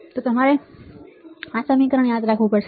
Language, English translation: Gujarati, And you have to remember this equation